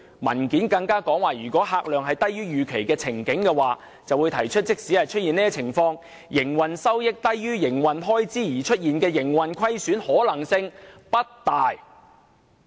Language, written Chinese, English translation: Cantonese, 文件更指出有可能出現客量低於預期的情況，但即使如此，"營運收益低於營運開支而出現營運虧損的可能性也不大"。, The paper also pointed out that the patronage might turn out to be lower than expected but even if this is the case it is unlikely that the operating revenue will drop below the operating cost and thus resulting in operating loss